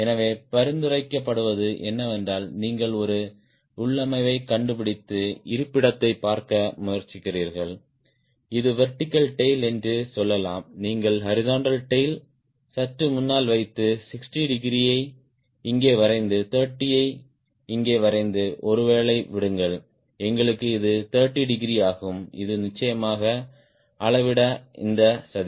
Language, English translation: Tamil, so what is suggested is you find out a configuration trying to see the location of, lets say, this is vertical tail and you put the horizontal tail little ahead and draw sixty degree, as required here, and draw thirty, as here, and this is thirty degree